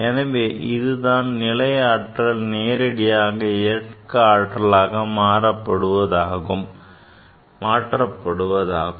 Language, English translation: Tamil, So, it is a direct conversion of potential energy into kinetic energy